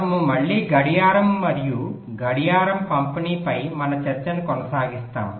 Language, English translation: Telugu, so we continue with our ah discussion on clocking and clock distribution again